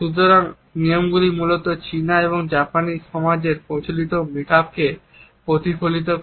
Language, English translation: Bengali, So, these rules basically reflect the conventional makeup of Chinese and Japanese societies